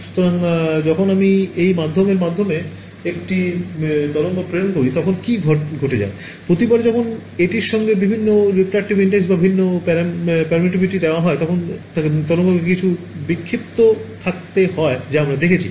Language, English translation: Bengali, So, what happens is when I send a wave through this medium, every time it encounters different refractive index or different permittivity that wave has to undergo some kind of scattering we have seen that